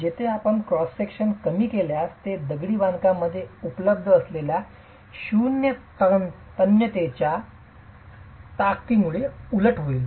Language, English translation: Marathi, Here if you reduce the cross section it will simply overturn because of zero tensile strength available in the masonry